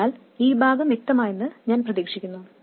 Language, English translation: Malayalam, So I hope this part is clear